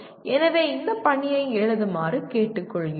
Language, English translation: Tamil, So we consider or we ask you to write these assignment